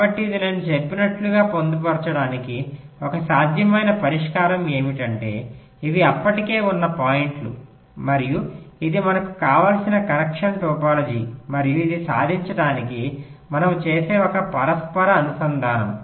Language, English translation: Telugu, like, what i was saying is that these are the points which were already there and this is the connection topology that we want and this is one possible interconnection that we do to achieve this